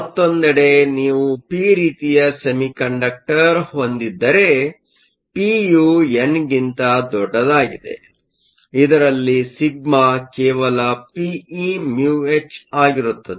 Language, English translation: Kannada, In the other hand, if you have p type semiconductor, p is much larger than n; in which case sigma will just be p e mu h